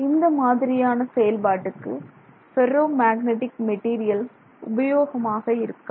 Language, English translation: Tamil, If you want to do that this ferromagnetic material is not convenient